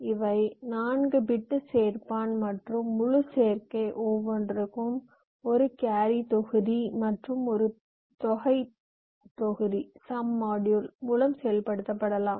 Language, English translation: Tamil, these are four full adders and each of the full adder can be implemented by a carry module and a sum module